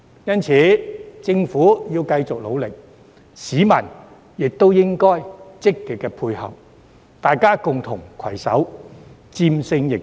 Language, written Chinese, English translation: Cantonese, 因此，政府應該繼續努力，市民亦應該積極配合，大家共同攜手戰勝疫情。, Therefore the Government should continue to make efforts and the public should also actively cooperate so that we can work together to overcome the epidemic